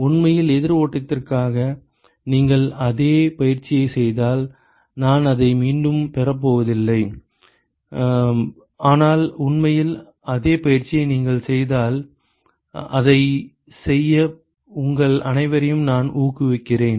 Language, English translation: Tamil, In fact, if you do the same exercise for counter flow, I am not going to derive it again, but if you do the same exercise in fact, I encourage all of you to do that